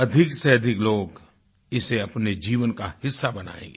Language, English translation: Hindi, More and more people will come forward to make it a part of their lives